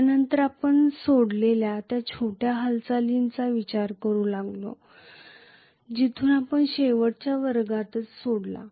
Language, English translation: Marathi, After this we started considering a small movement that is where we left off, actually in the last class